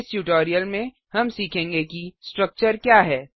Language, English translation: Hindi, In this tutorial we will learn, What is a Structure